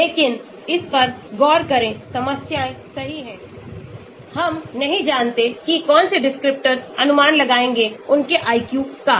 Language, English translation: Hindi, but look at this, there are problems right, we do not know which descriptors will predict their IQ